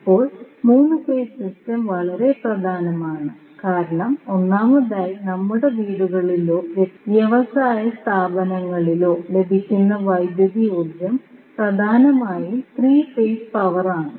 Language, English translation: Malayalam, Because, there are 3 major reasons of that, first, the electric power which we get in our houses or in our industrial establishments are mainly the 3 phase power